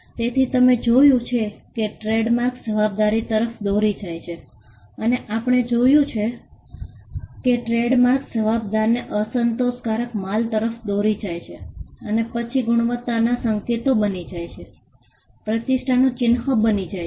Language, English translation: Gujarati, So, you have seen trademarks go from liability and we have seen trademarks go from attributing liability to unsatisfactory goods to becoming signals of quality then, becoming symbols of reputation